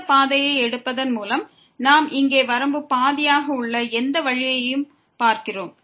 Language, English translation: Tamil, And we have any way seen here by taking this path the limit is half